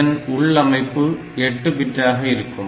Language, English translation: Tamil, So, naturally it operates on 8 bit data